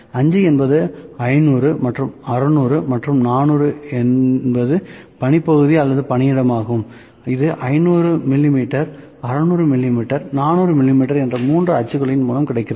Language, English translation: Tamil, 5 is 500 and 600 and 400 is the work area or the workspace that is available in the 3 axes, 500 mm, 600 mm 400 mm, ok